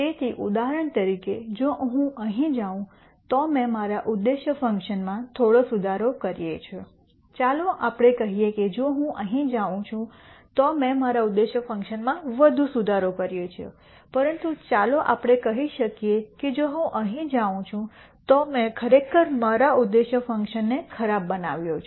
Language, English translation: Gujarati, So, for example, if I go here I have made some improvement to my objective function let us say if I go here I have made much more improvement to my objective function, but let us say if I go here I have actually made my objective function worse